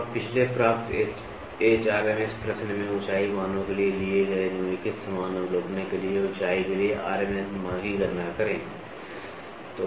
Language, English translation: Hindi, So, now, calculate the RMS value for a height for the following same observations taken for height values in the previous question